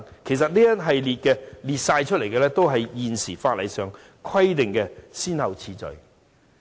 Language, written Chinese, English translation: Cantonese, 其實，當中列出的次序也是現時法例規定的先後次序。, In fact the order set out therein is the same as that stipulated by the current Bill